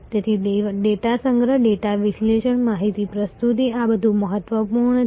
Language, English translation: Gujarati, So, data collection, data analysis, data presentation, these are all important